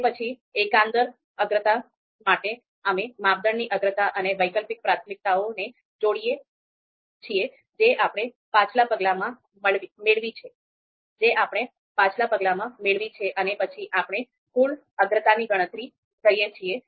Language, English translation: Gujarati, And then global priorities where we typically combine the criteria priorities and the alternative priorities that we have got in the previous steps and then we you know compute the global priorities